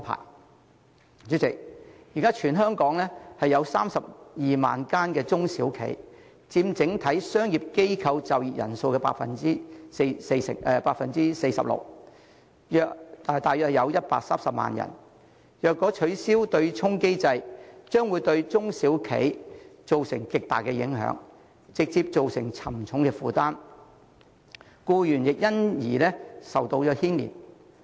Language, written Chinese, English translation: Cantonese, 代理主席，現時全港有32萬間中小企，佔整體商業機構就業人數的 46%， 約130萬人，若取消對沖機制，將會對中小企造成極大影響，直接造成沉重負擔，僱員亦會因此而受到牽連。, Deputy President at present there are 320 000 small and medium enterprises SMEs in Hong Kong employing 46 % of the total employed population in commercial organizations comprising about 1.3 million people . An abolition of the offsetting mechanism will cause an immense impact on the SMEs directly imposing a heavy burden which will also adversely affect the employees